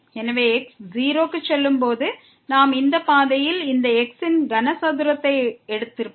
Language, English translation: Tamil, So, if goes to 0 and we have taken this cube along this path